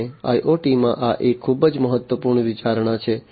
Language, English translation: Gujarati, And this is a very important consideration in IoT